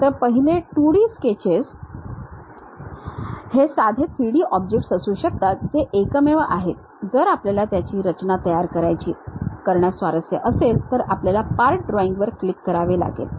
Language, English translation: Marathi, So, first 2D sketches may be simple 3D objects which are one unique objects if we are interested to construct, we have to click part drawing